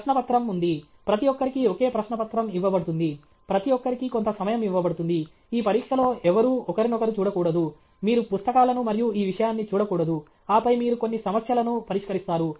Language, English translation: Telugu, There is a question paper; everybody is given the same question paper; everybody is given some time; nobody should look at each other’s this thing; you should not look at books and this thing; and then you solve some problems